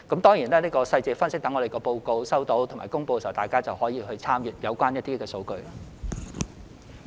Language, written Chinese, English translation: Cantonese, 當然，就詳細的分析，在我們接獲及公布報告後，大家可以參閱有關數據。, Of course about detailed analyses Members may refer to the statistics concerned after we have received and published the report